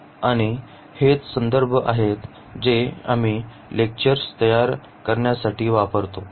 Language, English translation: Marathi, And these are the references which we have used to prepare these lectures